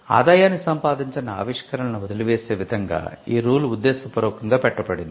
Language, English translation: Telugu, Now, this is deliberately structured in such a way that people would abandon inventions that are not generating revenue